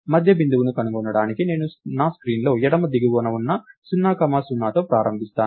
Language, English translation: Telugu, So, to find out the middle point, so lets say I start with 0 comma 0 which is the left bottom of of my screen